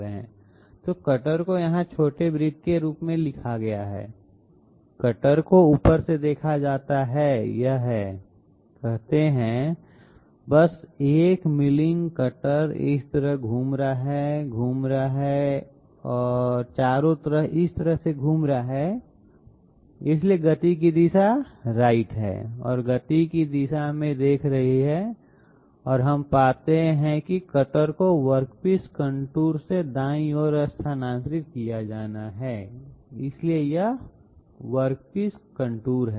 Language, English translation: Hindi, So the cutter is shown as the small circle here, the cutter is seen from the top, it it is say simply a milling cutter moving like this, rotating and moving like this all around, so the direction of motion is right wards and looking in the direction of motion and we find that cutter has to be shifted towards the right side from the path from the work piece contour, so this is the work piece contour